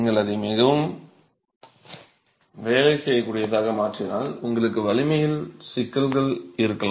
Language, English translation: Tamil, If you make it too workable, then you're going to have problems with strength